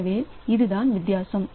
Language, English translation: Tamil, So, this is the difference